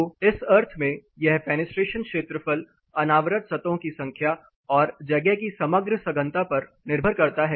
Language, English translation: Hindi, So, in that sense it depends on the fenestration area number of surfaces exposed and the overall compactness of the space